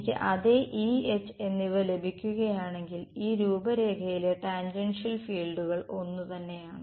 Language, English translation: Malayalam, If I get the same E and H the tangential fields on this contour are the same